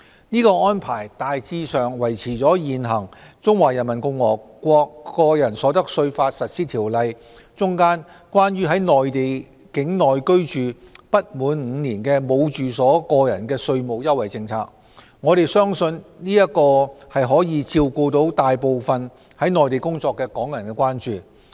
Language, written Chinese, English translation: Cantonese, 此安排大致維持了現行《中華人民共和國個人所得稅法實施條例》中，有關在內地境內居住不滿5年而無住所個人的稅務優惠政策，我們相信這將可以照顧大部分在內地工作的港人的關注。, This arrangement has largely retained the tax concession for individuals who have no domicile and have resided in the Mainland for less than five years under the existing Regulations for the Implementation of the Individual Income Tax Law of the Peoples Republic of China . We believe that the proposal has addressed the concerns of the majority of Hong Kong people working in the Mainland